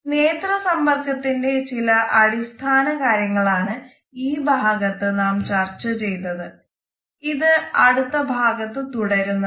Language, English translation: Malayalam, So, today we have discussed certain basic understandings of eye contact we will continue this discussion in our next module too